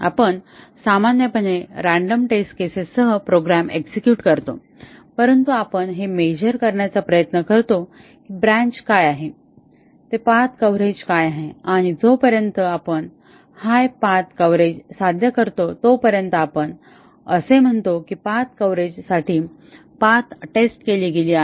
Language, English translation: Marathi, We normally execute the program with random test cases, but we try to measure we measure what is the branch what is the path coverage achieved and as long as we achieved high path coverage we say that path coverage path testing has been done